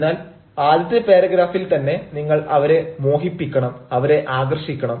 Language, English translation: Malayalam, so in the very first paragraph, you actually have to captivate, you have to attract